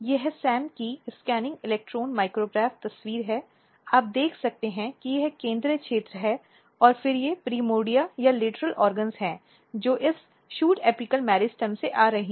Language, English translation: Hindi, This is the scanning electron micrograph picture of the SAM you can see this is the central region and then these are the primordia or the lateral organs which are coming from this shoot apical meristem